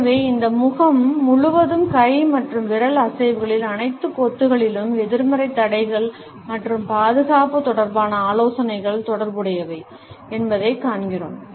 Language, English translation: Tamil, So, we see that in all these clusters of hand and finger movements across our face, the suggestion of negativity barriers and defense is related